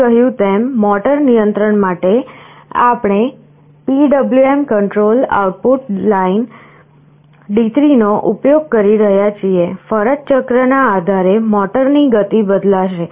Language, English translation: Gujarati, As I said, for motor control we are using PWM control output line D3, depending on the duty cycle the speed of the motor will vary